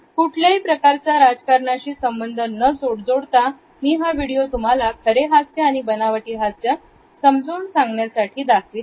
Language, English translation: Marathi, Without commenting on the political belief systems, I have tried to use this video as an illustration of genuine and fake smiles